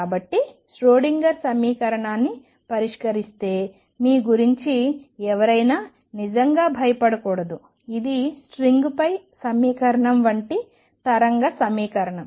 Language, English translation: Telugu, So, one should not feel really scared about you know solving the Schrödinger equation it is a wave equation like equation on a string